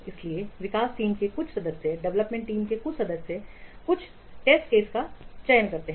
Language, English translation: Hindi, So, a few members of the development team select some test cases